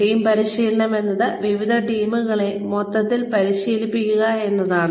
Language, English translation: Malayalam, Team training is, training different teams, as a whole